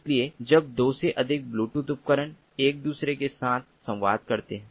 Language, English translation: Hindi, so when more than two bluetooth devices communicate with one another, it is called a piconet